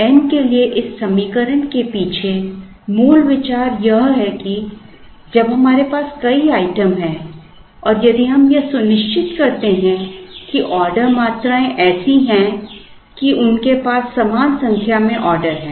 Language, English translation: Hindi, The basic idea behind this equation for n is that, when we have multiple items and if we ensure that, the order quantities are such that they have equal orders, equal number of orders